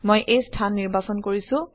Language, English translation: Assamese, I have selected this location